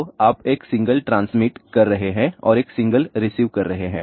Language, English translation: Hindi, So, you are transmitting a single and receiving a single